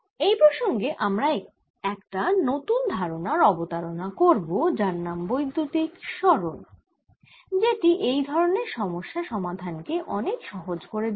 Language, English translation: Bengali, so in this context, we're going to do introduce something called the electric displacement that facilitates solving of such problems